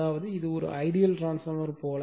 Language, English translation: Tamil, That means, this one as if it is an ideal transformer